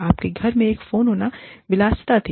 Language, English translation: Hindi, Having a phone in your house, was a luxury